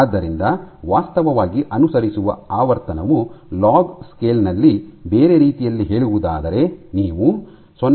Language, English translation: Kannada, So, the frequency actually follows is varied in log scale in other words you can do 0